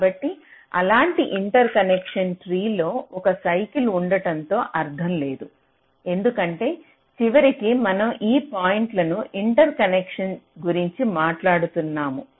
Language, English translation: Telugu, so there is no point in have a cycle in such an interconnection tree, because ultimately, we are talking about interconnecting these points